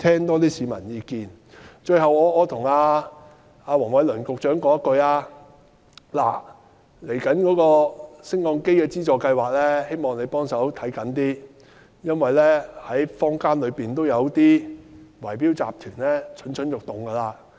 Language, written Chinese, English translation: Cantonese, 我也想跟黃偉綸局長談談未來的優化升降機資助計劃，希望他着緊一點，因為坊間有些圍標集團已經蠢蠢欲動。, I also wish to talk to Secretary Michael WONG about the Lift Modernisation Subsidy Scheme . I hope that he would be more attentive to that because many bid - rigging syndicates in the community are ready to take advantage of the opportunity